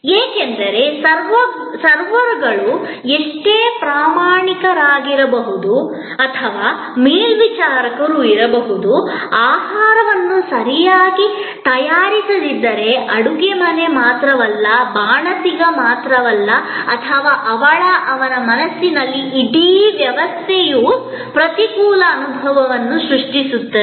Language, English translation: Kannada, Because, however efficient the servers may be or the stewards may be, if the food is not well prepared, then not only the kitchen comes into play, not only the chef is then on the mate, the whole system is then creating an adverse experience in the customers perception in his or her mind